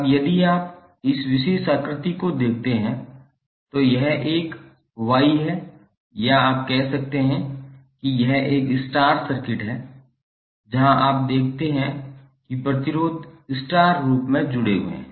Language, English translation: Hindi, Now, if you see this particular figure, this is a Y or you could say, this is a star circuit where you see the resistances are connected in star form